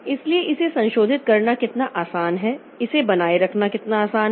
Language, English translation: Hindi, So, how easy it is to modify it, how easy it is it to maintain it